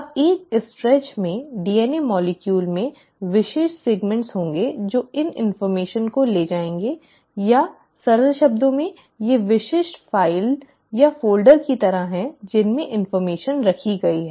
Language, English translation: Hindi, Now the DNA molecule in a stretch will have specific segments which will carry this information or in simple terms these are like specific files or folders in which the information is kept